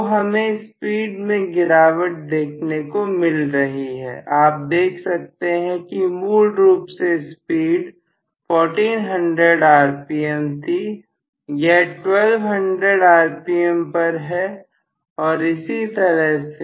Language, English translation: Hindi, So, we get lower and lower speed, you can see that the speed is originally probably 1400 rpm, may be this is at 1200 rpm and so on